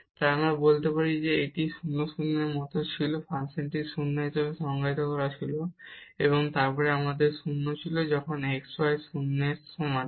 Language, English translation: Bengali, So, we can hey this was like at 0 0 the function was defined as 0 and then we have 0 when x y equal to 0